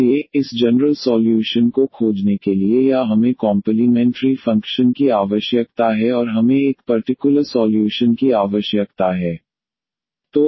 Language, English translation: Hindi, So, to find this general solution or this we need the complementary function and we need a particular solution